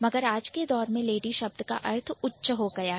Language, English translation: Hindi, So but if you see the meaning of lady has become elevated